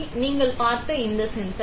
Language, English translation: Tamil, So, this sensor you have seen